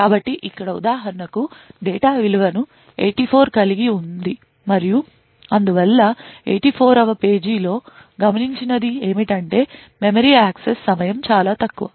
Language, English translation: Telugu, So over here for example the data has a value of 84 and therefore at the 84th page what is observed is that there is much lesser memory access time